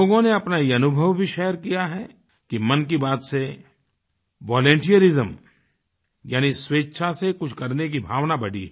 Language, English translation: Hindi, People have shared their experiences, conveying the rise of selfless volunteerism as a consequence of 'Mann Ki Baat'